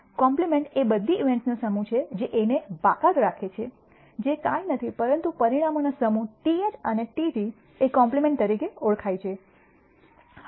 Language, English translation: Gujarati, A compliment is the set of all events that exclude A which is nothing but the set of outcomes TH and TT is known as a complement